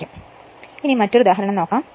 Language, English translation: Malayalam, Next is an example